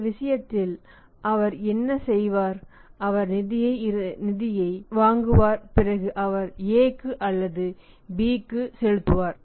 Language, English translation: Tamil, He will borrow the funds from the bank and then he will make the payment to the A to the manufacturer